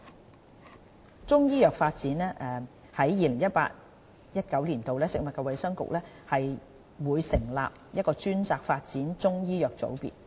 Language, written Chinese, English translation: Cantonese, 就中醫藥發展方面，在 2018-2019 年度，食物及衞生局會成立專責發展中醫藥的組別。, Insofar as the development of Chinese medicine is concerned the Food and Health Bureau will set up a dedicated unit to oversee Chinese medicine development in 2018 - 2019